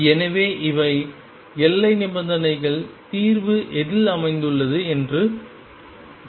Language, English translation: Tamil, So, these are the boundary conditions, let us see what the solution is lie